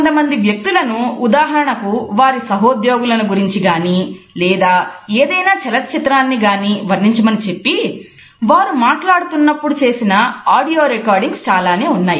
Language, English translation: Telugu, There have been several audio recordings when people have been asked to describe their colleagues for example, or a particular movie